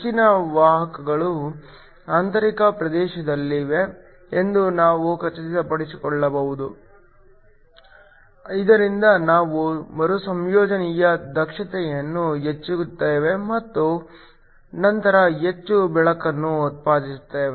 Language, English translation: Kannada, We can make sure that most of the carriers are located in the intrinsic region, so that we increase the efficiency of the recombination and then produce more light